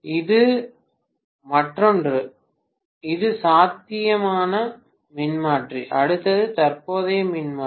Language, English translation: Tamil, The other counterpart of this is, this is potential transformer, the next one is current transformer